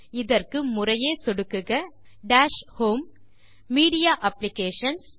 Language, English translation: Tamil, To do this click on Dash home, Media Applications